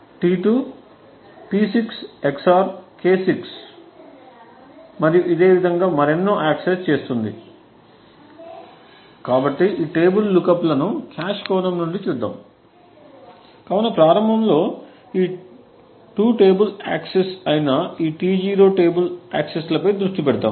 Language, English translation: Telugu, T2 accesses P6 XOR K6 and so on, so let us look at these tables look ups from a cache perspective, so initially let us just focus on this T0 table accesses that is these 2 table accesses